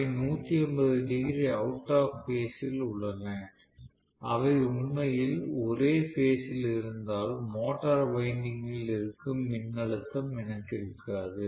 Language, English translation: Tamil, They are 180 degree out of phase, if they are actually in phase roughly, then I will not have so much of voltage being withstood by the motor winding